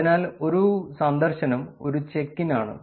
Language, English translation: Malayalam, So, a visit is a check in